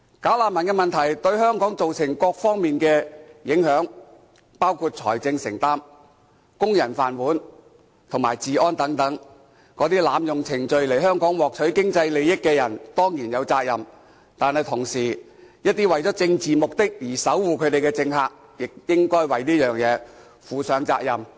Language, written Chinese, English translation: Cantonese, "假難民"問題對香港造成各方面的影響，包括財政承擔，工人"飯碗"和治安等，這些濫用程序來香港獲取經濟利益的人，當然有責任，但一些為了政治目的而守護他們的政客，亦應該為這事負上責任。, The problem of bogus refugees has impacted Hong Kong in various areas including financial burden employment opportunities of local workers and law and order . People who abuse the procedures to come to Hong Kong for economic interests should of course be held responsible . But some politicians who defend them for political purposes should also be held responsible